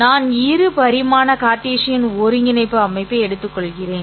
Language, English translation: Tamil, A simple example of this would be to go back to our Cartesian coordinate system